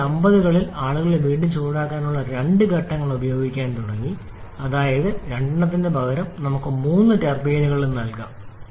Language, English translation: Malayalam, Later after 1950’s people started using two stages of reheating that is instead of having two we can have three turbines also